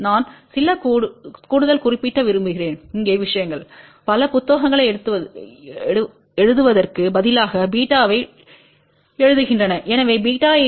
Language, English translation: Tamil, I just want to mention of you additional thing here many books instead of writing beta they write k